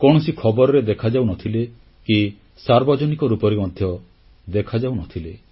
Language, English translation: Odia, He was neither seen in the news nor in public life